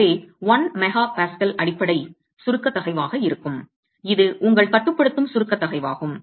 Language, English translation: Tamil, So 1 MPA would be the basic compressive stress which is a limiting compressive stress